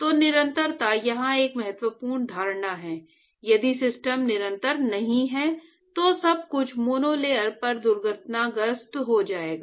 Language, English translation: Hindi, So, continuity is an important assumption here if the system is not continuous, then everything is going to crash right at the monolayer